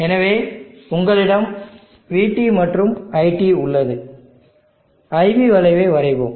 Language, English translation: Tamil, So you have VT and you have IT, let me draw the IV curve